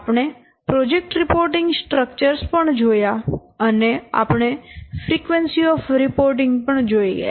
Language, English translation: Gujarati, We have also presented the project reporting structures and we have also seen the frequency of the reporting